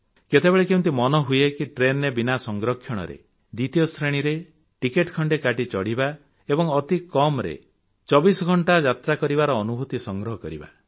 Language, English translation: Odia, Friends have you ever thought of travelling in a Second Class railway Compartment without a reservation, and going for atleast a 24 hours ride